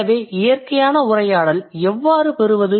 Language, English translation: Tamil, So how to get the natural conversation